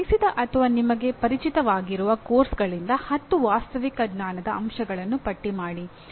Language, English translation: Kannada, From the courses you taught or familiar with list 10 Factual Knowledge Elements